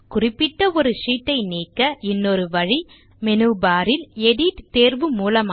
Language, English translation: Tamil, Another way of deleting a particular sheet is by using the Edit option in the menu bar